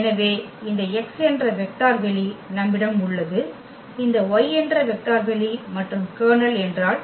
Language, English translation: Tamil, So, we have this vector space X we have this vector space Y and what is the kernel